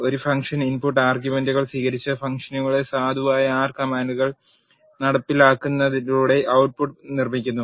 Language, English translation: Malayalam, A function accepts input arguments and produces the output by executing valid R commands that are inside the function